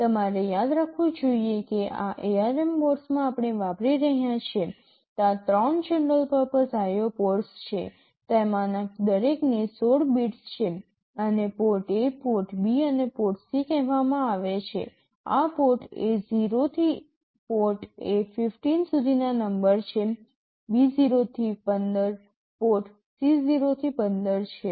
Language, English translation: Gujarati, You should remember that in this ARM board we are using, there are three general purpose IO ports, each of them are 16 bits, these are called port A, port B and port C